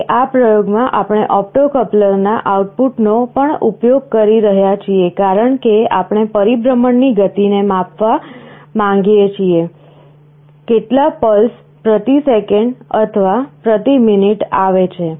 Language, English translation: Gujarati, Now in this experiment, we are also using the output of the opto coupler, because we want to measure the speed of rotation, how many pulses are coming per second or per minute